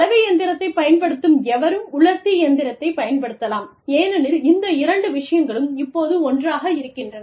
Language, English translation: Tamil, Anybody, who uses a washing machine, can also use a dryer, because these two things, go hand in hand